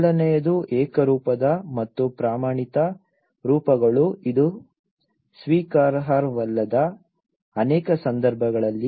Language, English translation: Kannada, The first thing is the uniform and standardized forms which are not acceptable many cases